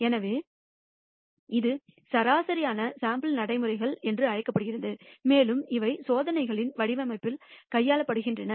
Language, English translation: Tamil, So, this is called proper sampling procedures and these are dealt with in the design of experiments